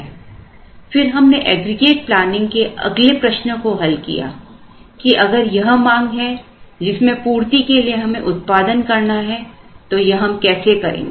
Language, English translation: Hindi, Then, we answered the next question in aggregate planning where, now if this is the demand that we have to we have to produce and meet how we are going to do it